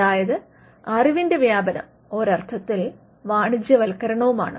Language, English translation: Malayalam, So, dissemination is also commercialization